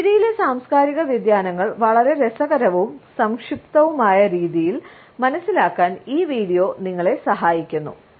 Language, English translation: Malayalam, This video helps us to understand cultural variations in smiles in a very interesting, yet succinct manner